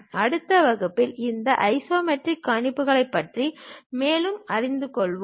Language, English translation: Tamil, In the next class, we will learn more about these isometric projections